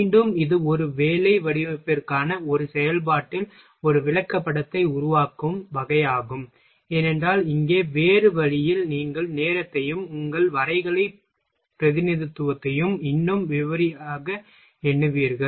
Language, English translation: Tamil, Again it is a type of making a chart in a process for a work design, for in a different way in a here you will also count time and your graphical representation in a more detail